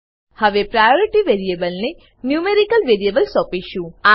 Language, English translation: Gujarati, Now let us assign a numerical value to the variable priority